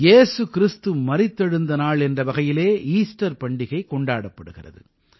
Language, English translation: Tamil, The festival of Easter is observed as a celebration of the resurrection of Jesus Christ